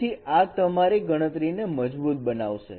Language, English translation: Gujarati, So it makes your computation robust